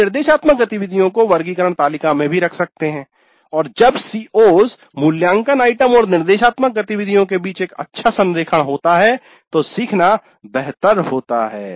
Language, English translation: Hindi, We can also place the instructional activities in the taxonomy table and when there is a good alignment among COs, the assessment items and the instructional activities, the learning is bound to be better